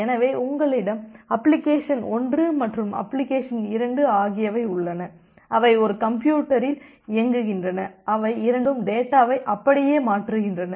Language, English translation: Tamil, So, it is just like that, you have this application 1 and application 2 which are running on a machine and both of them are transferring data